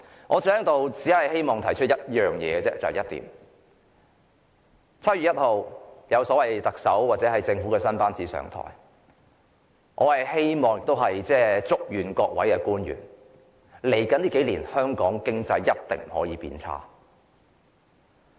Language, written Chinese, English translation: Cantonese, 我只希望提出一點 ，7 月1日特首或政府新班子便會上台，我希望亦祝願各位官員，一定不可以讓香港經濟在未來數年變差。, I would like to raise one point as the new Chief Executive and the new governing team will assume office on 1 July I hope they will make every effort to ensure that our economy will not deteriorate in the next few years